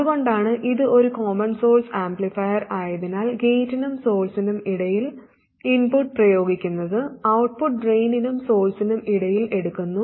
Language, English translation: Malayalam, That's why it is a common source amplifier so that the input is applied between gait and source, output is taken between drain and source